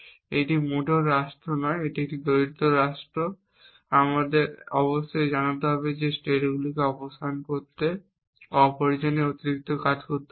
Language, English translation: Bengali, This is not state at all it is a poorer state and we have to know do unnecessary extra work to remove the states essentially